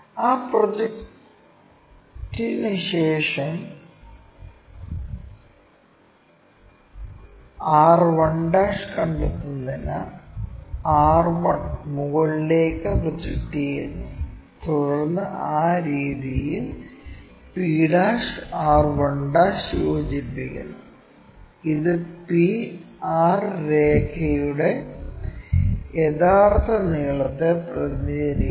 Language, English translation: Malayalam, After that project r 1 all the way up to locate r 1', and then join p' r 1' in that way, and this represents true length of the line p and r